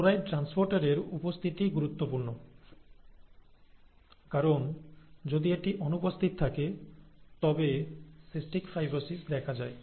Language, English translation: Bengali, The presence of the chloride transporter is important, because if that is absent, cystic fibrosis arises